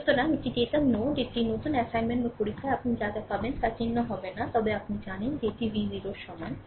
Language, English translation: Bengali, So, this is your datum node, it it will in that new assignments or exam whatever you get this thing will not be mark, but you know that it it is v 0 is equal to 0